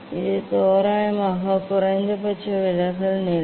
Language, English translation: Tamil, this is the minimum deviation position approximately